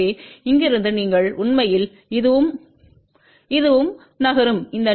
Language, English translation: Tamil, So, from here you actually move along this and this and this and this length comes out to be 0